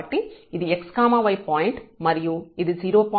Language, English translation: Telugu, So, this x so, this is 0